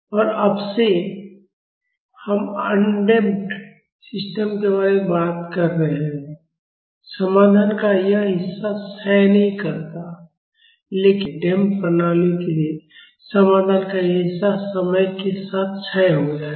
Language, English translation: Hindi, And since now, we are talking about undamped systems, this part of solution does not decay; but for damped systems, this part of solution will decay with time